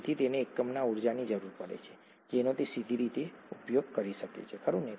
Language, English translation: Gujarati, Therefore it requires energy in units that it can use directly, right